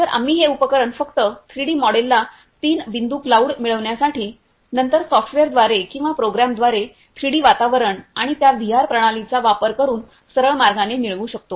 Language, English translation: Marathi, So, we can just use this equipment in order to get the 3D model get the three point clouds and then through the software or through program get the 3D environment and straight way using the that VR system